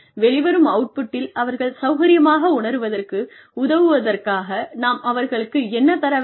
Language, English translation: Tamil, What do we need to give them, in order to help them, feel comfortable with the output